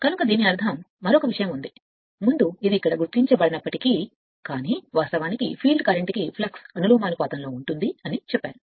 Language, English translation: Telugu, So that means you are another thing before although it is not marked here, but I am telling that flux actually professional to the field current right